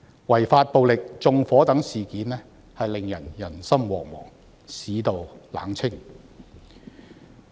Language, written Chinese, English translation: Cantonese, 違法暴力、縱火等事件令到人心惶惶，市道冷清。, Incidents involving unlawful violence and arson have caused widespread panic and created a lacklustre market environment